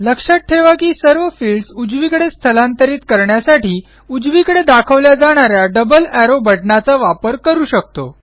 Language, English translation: Marathi, Note that to move all the fields to the right we can use the double arrow button that points to the right